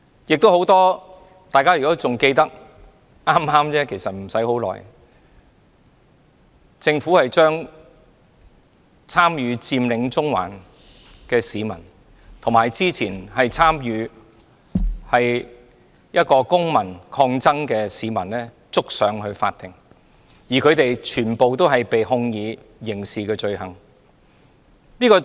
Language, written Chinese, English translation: Cantonese, 如果大家仍記得，不久前政府將參與"佔領中環"的市民，以及一名之前參與公民抗爭的市民提告至法庭，他們全部被控以刑事罪行。, If Members still remember not long ago the Government initiated litigations against some members of the public who had participated in the Occupy Central movement and a member of the public who had participated in civil resistance . They are all charged with criminal offences